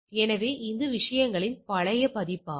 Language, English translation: Tamil, So, that it is a older version of the things